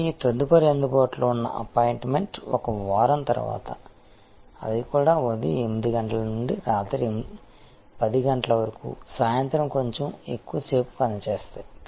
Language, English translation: Telugu, And the next available appointment is 1 week later; they also operate from 8 am to 10 pm a little longer in the evening